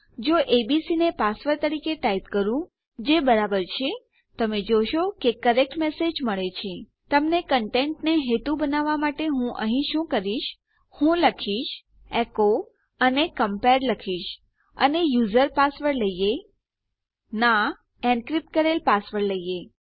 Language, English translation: Gujarati, If we type abc as our password, which is correct, you can see we get a correct message Just to give you an idea of the content what I can do here is I can say echo and I can say compared and lets take our user password in fact, NO lets take our encrypted password